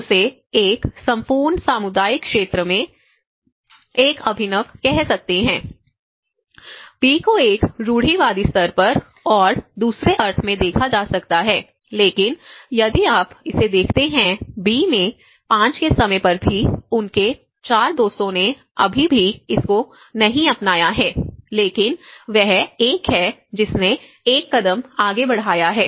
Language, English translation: Hindi, And we call; we can call him at an innovative at you know, in a whole community sector, he is the one who started that is innovative at a macro level and B could be looked in a more of a conservative level but in the other sense, if you look at it in the B, even at time 5, his none of; 4 of his friends have not still adopted but he is one who has taken a step forward